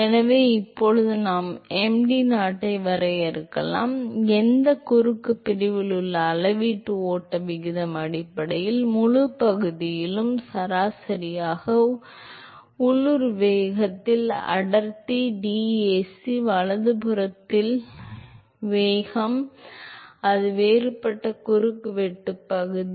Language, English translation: Tamil, So, now, we can define mdot which is the volumetric flow rate at any cross section is basically, averaged over the whole area, density into the local velocity, local velocity into dAc right that is the differential cross sectional area